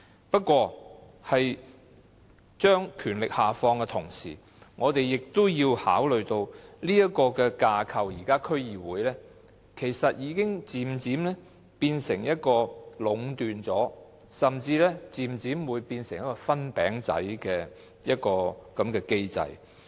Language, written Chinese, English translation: Cantonese, 不過，把權力下放的同時，我們亦要考慮到現時區議會的架構，已經漸漸變成壟斷甚至是"分餅仔"的機制。, Nevertheless in devolving powers we also need to take into account the existing DC framework which has gradually become a mechanism of monopolization or even pie sharing